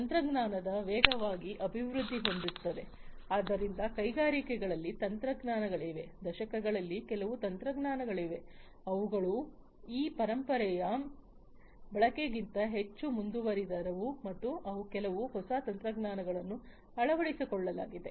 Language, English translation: Kannada, Technology is evolving fast, there are technologies in the industries that have been therefore, decades there are certain technologies that have there are more advanced than those legacy wants and there are some very new technologies that are adopted